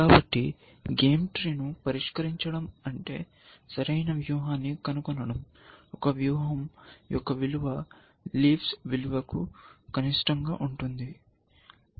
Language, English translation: Telugu, So, you can say that solving a game tree, means discovering an optimal strategy we said, that the value of a strategy, is minimum of value of leaves